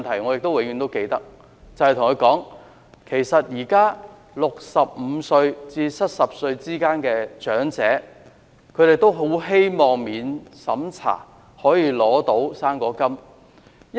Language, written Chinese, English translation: Cantonese, 我永遠都記得我對她說，現時65歲至70歲之間的長者，都很希望可以免審查領取"生果金"。, I always remember what I said to her . I relayed the earnest hope of the elderly people aged between 65 and 70 to receive the non - means tested fruit grant